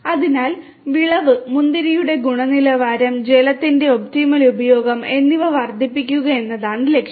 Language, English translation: Malayalam, So, the objective is to have to increase the yield, increase yield, quality of grapes and optimal use of water